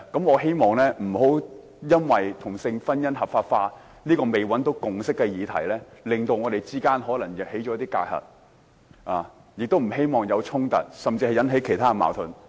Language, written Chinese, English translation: Cantonese, 我希望不要因為同性婚姻合法化這個尚未取得共識的議題，導致我們產生一些隔閡，我也不希望出現衝突，甚至引起其他矛盾。, I do not hope the issue of same - sex marriage on which a consensus is yet to be reached will build barriers between us . I also do not hope to see conflicts emerging or even other disputes arising